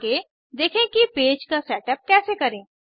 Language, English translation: Hindi, Next lets see how to setup a page